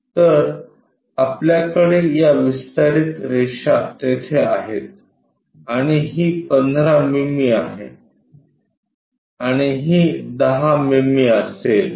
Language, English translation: Marathi, So, we have this extension lines, there and there and this will be 15 mm and this will be 10 mm